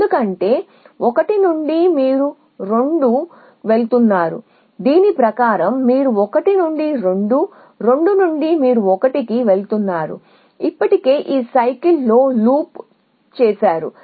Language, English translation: Telugu, Because from 1 you going 2 according to this is the index from 1 you going 2 from 2 you a going to 1 so already done know in this cycle so it cannot to be part of a